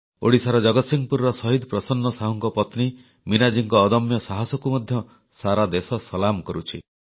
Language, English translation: Odia, The country salutes the indomitable courage of Meenaji, wife of Martyr PrasannaSahu of Jagatsinghpur, Odisha